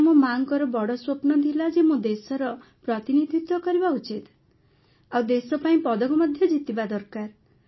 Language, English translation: Odia, Hence my mother had a big dream…wanted me to represent the country and then win a medal for the country